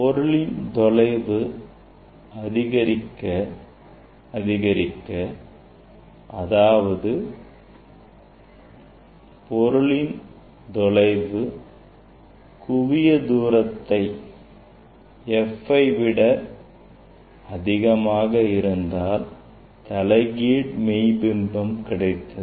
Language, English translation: Tamil, Now if you increase now if the image if the object is object distance from the mirror is less than focal length f then we will get the virtual image and erect image